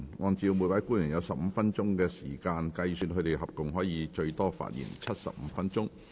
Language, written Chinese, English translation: Cantonese, 按照每位官員有15分鐘發言時間計算，他們合共可發言最多75分鐘。, On the basis of the 15 - minute speaking time for each officer they may speak for up to a total of 75 minutes